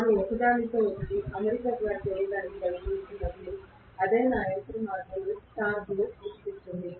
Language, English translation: Telugu, When they are trying to align with each other, that is what is creating the torque in my machine